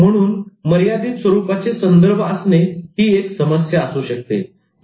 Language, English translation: Marathi, So, limited frame of reference could be a problem